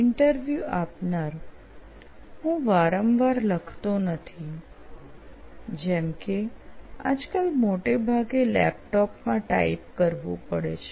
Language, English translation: Gujarati, So I write not that often, like nowadays mostly typing in the laptop